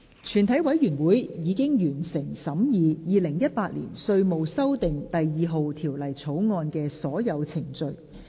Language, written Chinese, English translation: Cantonese, 全體委員會已完成審議《2018年稅務條例草案》的所有程序。, All the proceedings on the Inland Revenue Amendment No . 2 Bill 2018 have been concluded in committee of the whole Council